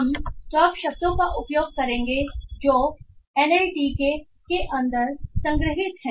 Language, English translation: Hindi, For this purpose we will be using the stop words that are stored inside NLTK